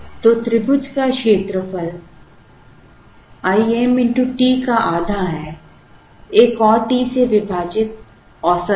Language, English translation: Hindi, So, area of the triangle is half into I m into t, divided by another t is the average